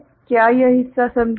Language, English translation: Hindi, Is this part understood